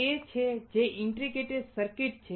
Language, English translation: Gujarati, This is what is an integrated circuit